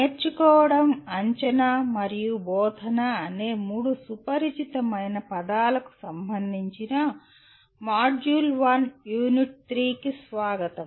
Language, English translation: Telugu, Welcome to the module 1 unit 3 which is related to three familiar words namely learning, assessment and instruction